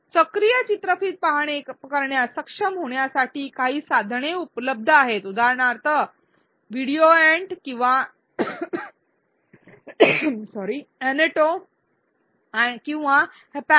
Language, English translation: Marathi, There are some tools available to be able to design active video watching for example, VideoAnt or Annoto or Hapyak